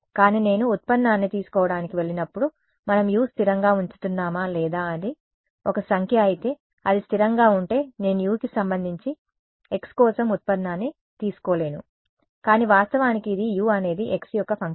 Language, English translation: Telugu, But when I go to take the derivative are we keeping U to be constant or if I if it is a number then it is a constant I cannot take the derivative with respect to x for U, but actually it is U is a function of x and that function is here